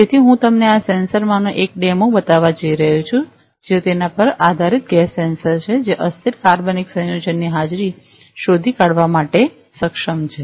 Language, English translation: Gujarati, So, I am going to show you the demo of one of this sensors, which is based on it is a gas sensor, which is able to detect the presence of volatile organic compounds